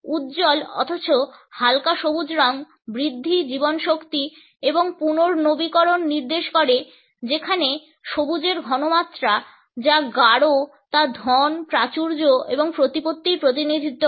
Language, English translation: Bengali, The bright yet light green color indicates growth, vitality and renewal whereas, the richer shades of green which are darker in tone represent wealth, abundance and prestige